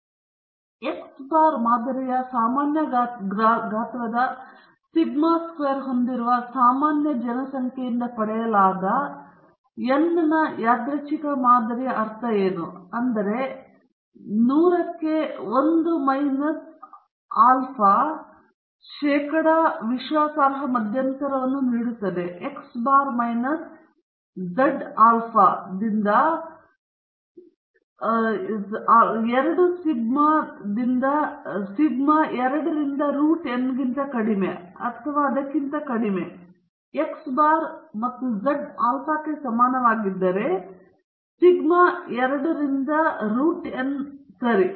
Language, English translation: Kannada, So, if x bar is a sample mean of a random sample of size n obtained from a normal population with known variance sigma squared, then the hundred into 1 minus alpha percent confidence interval on mu is given by x bar minus z alpha by 2 sigma by root n less than or equal to mu less than or equal to x bar plus z alpha by 2 sigma by root n okay